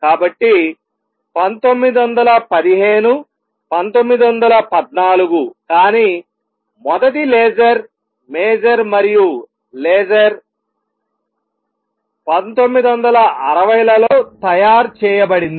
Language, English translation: Telugu, So, 1915, 1914, but the first laser major and laser it was made in 1960s